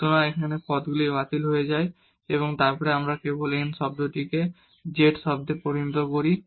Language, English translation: Bengali, So, here these terms cancel out and then we get simply n into z term